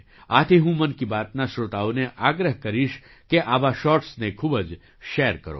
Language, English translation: Gujarati, Therefore, I would urge the listeners of 'Mann Ki Baat' to share such shorts extensively